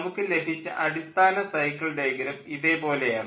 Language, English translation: Malayalam, next, if we think of the cycle diagram, the cycle diagram looks like this